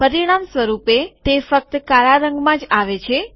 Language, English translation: Gujarati, As a result, it just comes in black